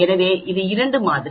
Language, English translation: Tamil, So it is a two sample